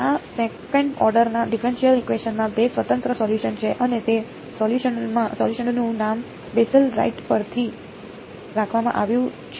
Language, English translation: Gujarati, This being a second order differential equation has two independent solutions and those solutions are named after Bessel right